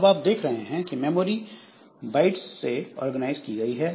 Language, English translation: Hindi, Now, you see that the memory is the byte organized